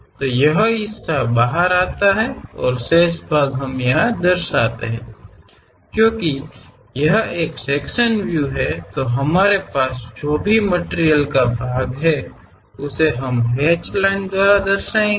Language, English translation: Hindi, So, this part comes out and the remaining part we represent; because it is a sectional view, we always have this material portion represented by hatched lines